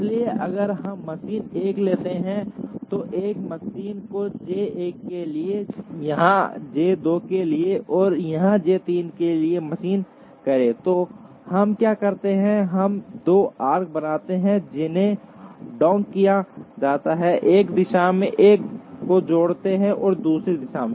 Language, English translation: Hindi, So, if we take machine 1, then machine 1 figures here for J 1, here for J 2, and here for J 3, so what we do is we draw 2 arcs, which are dotted, joining 1 to this in this direction and the other in the other direction